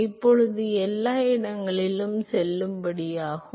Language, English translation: Tamil, Now, this is valid at every location